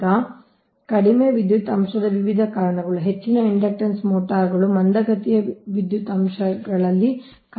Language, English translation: Kannada, right now, various causes of low power factor: most of the induction motors operate at lagging power factor right